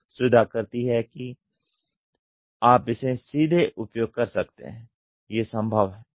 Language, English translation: Hindi, Net shaping is you can use it directly may be feasible